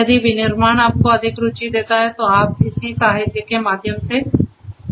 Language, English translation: Hindi, If manufacturing is one that interests you more you could go through the corresponding literature